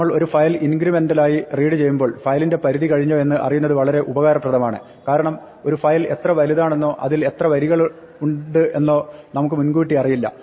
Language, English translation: Malayalam, When we are reading a file incrementally, it is useful to know when the file is over because we may not know in advance how long files is or how many lines of file is